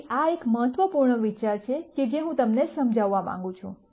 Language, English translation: Gujarati, So, this is an important idea that that I would like you to understand